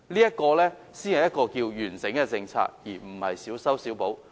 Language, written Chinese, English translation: Cantonese, 這才是完整的政策，而並非進行小修小補。, A comprehensive policy should rather be like this and the authorities should not merely introduce patchy fixes